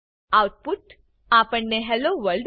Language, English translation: Gujarati, We get the output as Hello World